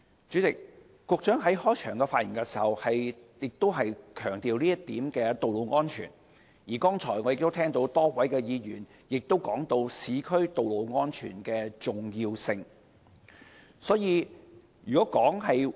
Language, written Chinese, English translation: Cantonese, 主席，局長在開場發言時強調道路安全這一點，而剛才我亦聽到多位議員談及市區道路安全的重要性。, President the Secretary has stressed road safety in his opening remarks and just now I have also heard a number of Members talk about the importance of road safety in the urban areas